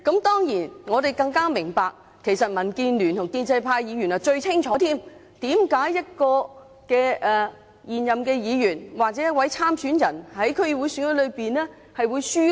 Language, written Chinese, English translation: Cantonese, 當然，我們都明白，而民建聯和建制派議員最清楚，為甚麼一個現任議員，或者一位參選人，在區議會選舉會落敗。, Certainly we all understand that DAB and the pro - establishment Members know it full well why an incumbent member or a candidate lost in the DC election